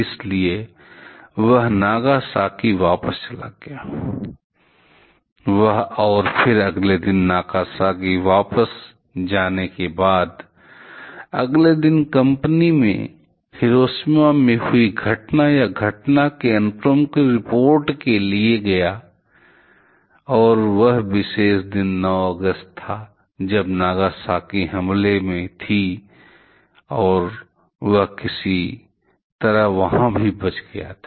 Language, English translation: Hindi, So, he went back to Nagasaki; he and then next day he after going back to Nagasaki, next day went to the company to report the incident or the sequence of event that happened to Hiroshima and that particular day was 9th August, when Nagasaki was under attack and somehow he survived that one also